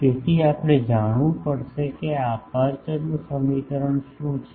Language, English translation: Gujarati, So, we will have to know what is this apertures equation etc